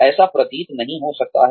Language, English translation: Hindi, It may not seem so